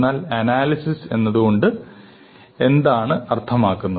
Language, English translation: Malayalam, But what exactly does analysis mean